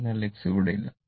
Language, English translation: Malayalam, So, X is not there